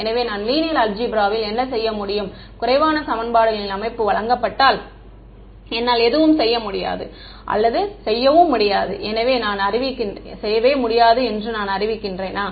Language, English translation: Tamil, So, what I could do is in linear algebra if I am presented with an underdetermined system of equations, do I just declare that I cannot do anything or do I still try to do something